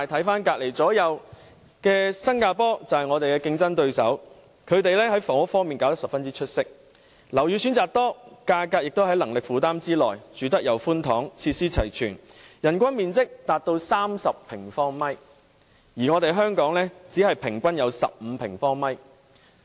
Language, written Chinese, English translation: Cantonese, 反觀鄰近地區例如我們的競爭對手新加坡，他們在房屋方面做得十分出色，樓宇選擇多，價格亦在能力負擔之內，居住環境寬敞，設施齊全，人均居住面積達30平方米，而香港只有15平方米。, In contrast some neighbouring regions have done a brilliant job in housing . They provide various housing options and their well - equipped units offering a spacious living environment are within peoples affordability . Their per - capita living space is as much as 30 sq m But in the case of Hong Kong it is merely 15 sq m Nevertheless this per - capita figure is unable to reflect the reality